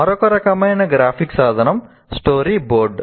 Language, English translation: Telugu, Now another type of graphic tool is what you call storyboard